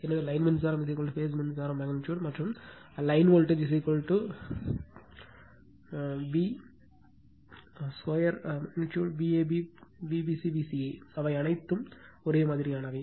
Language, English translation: Tamil, So, line current is equal to phase current magnitude right and line voltage is equal to v square magnitude V a b V b c V c a, so they are all same